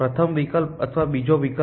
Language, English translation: Gujarati, A first option or the second option